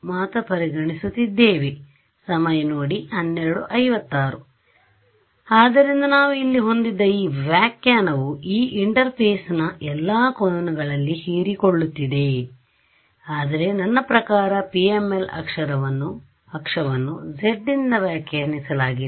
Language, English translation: Kannada, So, this interpretation that we had over here this is absorbing at all angles that are incident on this interface, but I mean the axis of PML is defined by z